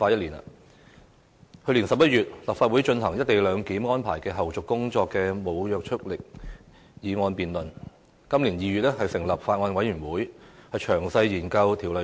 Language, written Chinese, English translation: Cantonese, 立法會在去年11月就"一地兩檢"安排的後續工作進行無約束力的議案辯論，今年2月成立《廣深港高鐵條例草案》委員會，詳細研究《條例草案》。, The Legislative Council held a motion debate without binding effect on taking forward the follow - up tasks of the co - location arrangement in November last year . The Bills Committee on the Guangzhou - Shenzhen - Hong Kong Express Rail Link Co - location Bill was formed in February this year to study the Bill in detail